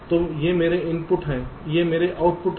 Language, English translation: Hindi, so these are my inputs, these are my outputs